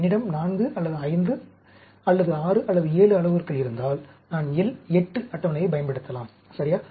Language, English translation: Tamil, If I have parameters 4, or 5, or 6, or even 7, I can use the L 8 table, ok